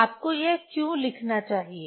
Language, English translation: Hindi, Why one should write this one